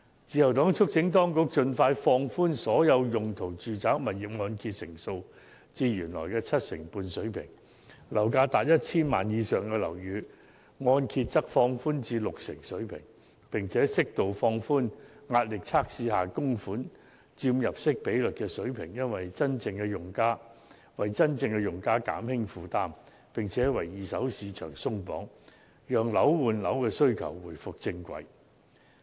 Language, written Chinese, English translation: Cantonese, 自由黨促請當局盡快放寬所有用途的住宅物業按揭成數至原來的七成水平，而樓價達 1,000 萬元或以上的樓宇的按揭成數則放寬至六成水平，並適度放寬壓力測試下供款佔入息比率的水平，為真正的用家減輕負擔，也為二手市場鬆綁，讓樓換樓的需求回復正軌。, The Liberal Party urges the authorities to expeditiously relax the loan - to - value ratio of various residential properties to the original level of 70 % and 60 % for residential properties with a value at 10 million or above and to suitably relax the stressed debt - servicing ratio so as to alleviate the burden of the genuine users on the one hand and remove the barriers of the second - hand market on the other with a view to enabling the demand for flat for flat to get back on the right track